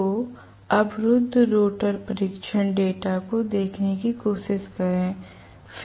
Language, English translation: Hindi, So, let me try to look at the blocked rotor test data